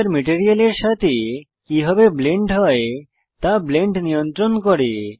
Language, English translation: Bengali, Blend controls how the texture blends with the material